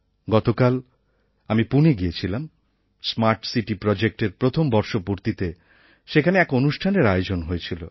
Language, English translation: Bengali, Yesterday I had gone to Pune, on the occasion of the anniversary of the Smart City Project